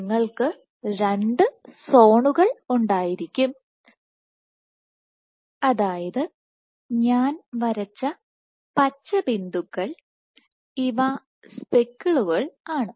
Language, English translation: Malayalam, So, you would have two zones and, so what I have drawn are speckles the green dots these are speckles